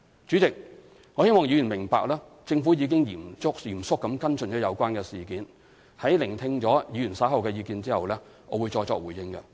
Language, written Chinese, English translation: Cantonese, 主席，我希望議員明白政府已嚴肅跟進有關事件，在聆聽議員發表的意見後，我會再作回應。, President I hope Members understand that the Government has followed up on the incident seriously . I will respond further after listening to the views of Honourable Members